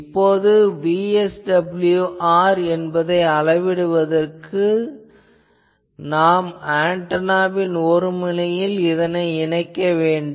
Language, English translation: Tamil, So, first step is you measure VSWR that you know that you can connect a thing and VSWR at the antenna terminal you measure